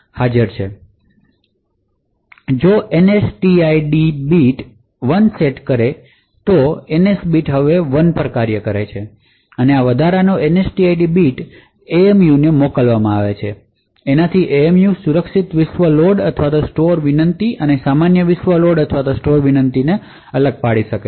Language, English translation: Gujarati, If the NSTID bit set 1 then the NS bit is forced to 1 now this because of this additional NSTID bit which is sent to the MMU the MMU would be able to identify or distinguish between secure world load or store request and a normal world load or store request